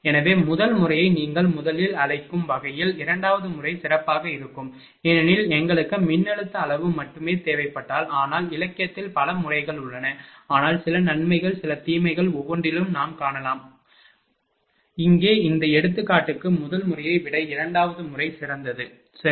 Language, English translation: Tamil, So, second method will be better in terms of your what to call the first one because, we if we need the voltage magnitude only, but there are many many methods are available in the literature, but some advantages some disadvantages we will find in every method, here also for this example second method is better than first method, right